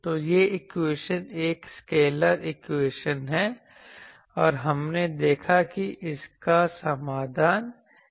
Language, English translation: Hindi, So, this equation is a scalar equation and we saw that what is it solution